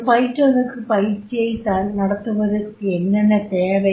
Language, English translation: Tamil, But what is required for a trainer to conduct a training program